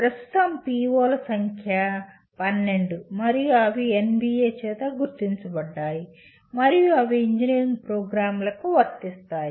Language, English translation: Telugu, And at present POs are 12 in number and they are identified by NBA and are applicable to all engineering programs